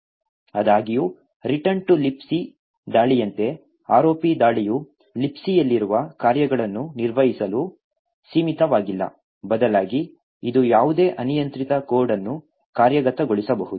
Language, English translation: Kannada, However, unlike the return to libc attack the ROP attack is not restricted to execute functions that are present in libc, rather it can execute almost any arbitrary code